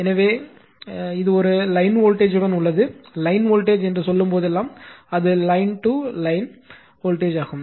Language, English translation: Tamil, So, here it is with a line voltage of to your line voltage means, it is a line to line voltage right